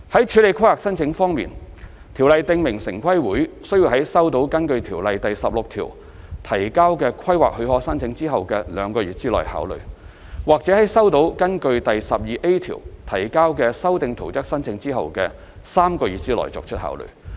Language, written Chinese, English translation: Cantonese, 處理規劃申請方面，《條例》訂明城規會須在收到根據《條例》第16條提交的規劃許可申請後的兩個月內考慮，或在收到根據第 12A 條提交的修訂圖則申請後的3個月內作出考慮。, As regards the handling of planning applications the Ordinance stipulates that TPB must consider applications for permission submitted in accordance with section 16 of the Ordinance within two months from the date of receipt or applications for plan amendment submitted in accordance with section 12A within three months from the date of receipt